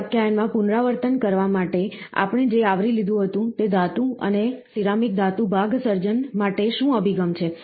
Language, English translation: Gujarati, To recapitulate in this lecture, what we covered was, what are the approaches to metal and ceramic metal part creation